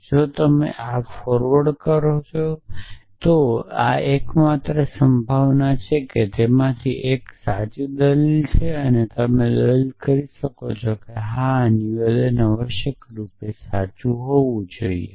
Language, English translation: Gujarati, And if you further say that this is the only possibility that one of them is true then you can argue that yes this statement must be true essentially